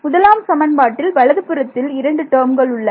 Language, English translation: Tamil, In equation 1, I have 2 terms on the right hand side right